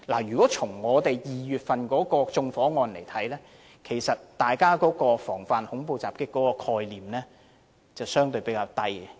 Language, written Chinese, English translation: Cantonese, 如果從2月的縱火案來看，其實大家防範恐怖襲擊的概念相對較低。, Judging from the arson case in February the public awareness against terrorist attacks is comparatively weak